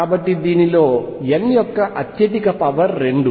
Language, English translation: Telugu, So, this highest power of n in this is 2